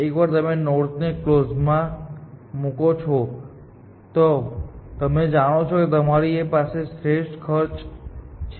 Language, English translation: Gujarati, Once you put a node into closed, you know that you have the optimal cost, essentially